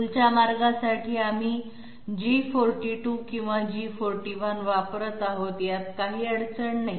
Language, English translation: Marathi, For the path of the tool we are employing G42 or G41 that is no problem